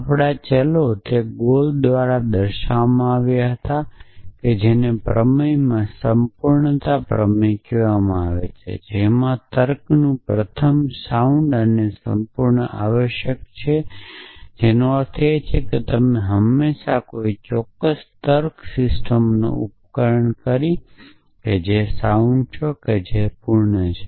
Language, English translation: Gujarati, his theorem which was called Godel’s completeness theorem that first of the logic is sound and complete essentially which means you can always device of a certain logic system which is sound and which is complete